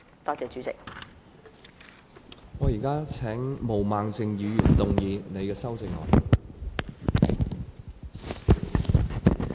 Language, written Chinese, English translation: Cantonese, 我現在請毛孟靜議員動議修正案。, I now call upon Ms Claudia MO to move an amendment